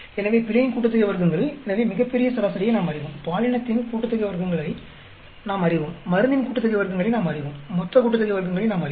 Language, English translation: Tamil, So, the error sum of squares, so we know the grand average, we know the gender sum of squares, we know the drug sum of squares, we know the total sum of squares